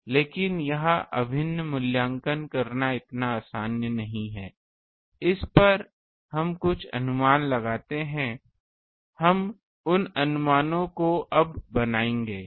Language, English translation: Hindi, But this integral is not so easy to evaluate on this we make certain approximation; we will make those approximations now